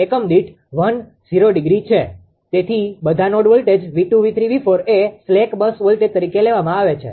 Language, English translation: Gujarati, So, all the all the all the node voltages V 2 , V 3 , V 4 are taken as the you know slag was voltage